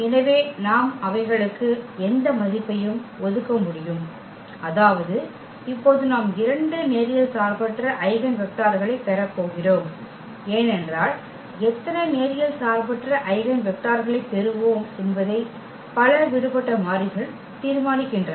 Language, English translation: Tamil, So, we can assign any value to them; that means, we are going to have now two linearly independent eigenvectors because a number of free variables decide exactly how many linearly independent eigenvectors we will get